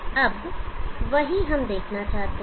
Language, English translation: Hindi, Now that is what we want to see